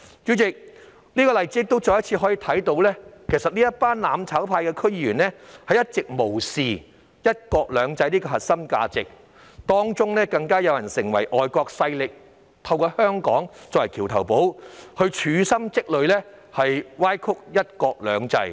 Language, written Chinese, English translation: Cantonese, 主席，我們從這些例子可再次看到，這群"攬炒派"區議員一直無視"一國兩制"這核心價值，更有人勾結外國勢力，以香港作為"橋頭堡"，處心積慮歪曲"一國兩制"。, President from these examples we can see once again that these DC members from the mutual destruction camp have along disregarded the core value of one country two systems . Some of them even colluded with foreign forces plotting to use Hong Kong as a bridgehead to distort one country two systems